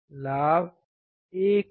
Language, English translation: Hindi, Gain is 1